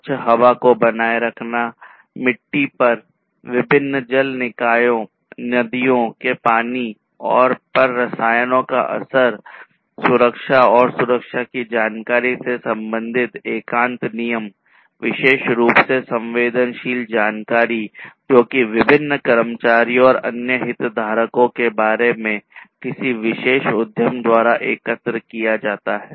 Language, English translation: Hindi, Maintaining clean air, reduction of chemical effects in soil, river water of different water bodies and so on, then privacy regulations basically concerned the, you know, the information the safety of safety and security of the information particularly the sensitive information that is collected about the different employees and the different other stakeholders by a particular enterprise